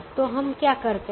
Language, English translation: Hindi, so what do we do now